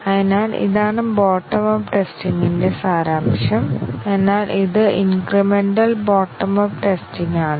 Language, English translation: Malayalam, So, this is the essence of bottom up testing, but then this is a incremental bottom up testing